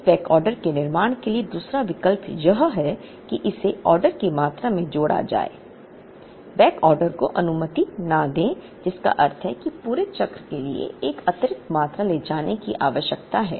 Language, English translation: Hindi, The other alternative for not building this backorder, is to add it to the order quantity, do not allow the backorder, which means an additional quantity is going to be carried for the entire cycle